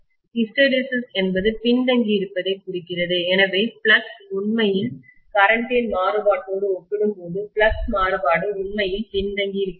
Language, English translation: Tamil, Hysteresis means lagging behind, so the flux actually, the variation in the flux actually lags behind compared to the variation in the current